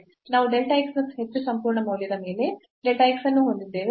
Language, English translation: Kannada, So, you have this delta x square and divided by this absolute value of delta x and delta x